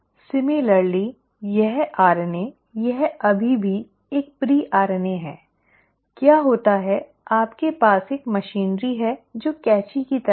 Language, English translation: Hindi, Similarly this RNA, it is still a pre RNA, right, what happens is you have a machinery, which are like scissors